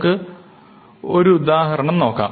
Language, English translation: Malayalam, So, let us look at an example